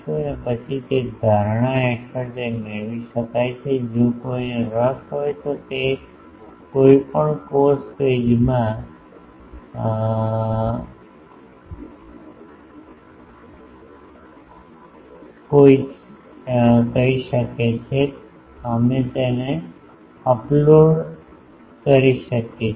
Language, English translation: Gujarati, So, under that assumption it can be derived, if anyone interested we see in the may be in the course page we can upload this the derivation